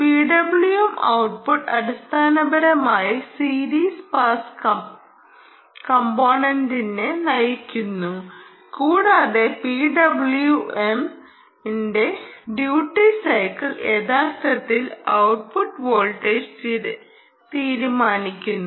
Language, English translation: Malayalam, there is c w m generator and the p w m output basically drives the series pass element and ah, the duty cycle of the p w m, actually decides the output voltage